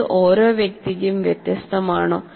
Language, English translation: Malayalam, Does it differ from person to person